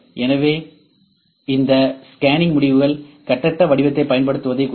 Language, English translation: Tamil, So, this scanning results are representing using free form